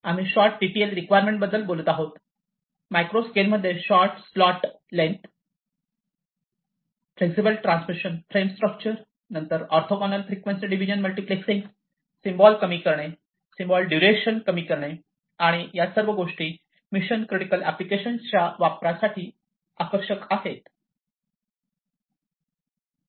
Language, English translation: Marathi, So, we are talking about shorter TTL requirements, you know, smaller slot lengths in micro scale, flexible transmission frame structure, then reducing the orthogonal frequency division multiplexing symbols, reducing symbol duration and so on so all of these weak it attractive for use in mission critical applications